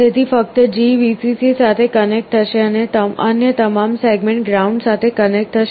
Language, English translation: Gujarati, So, only G will be connected to Vcc and all other segments will be connected to ground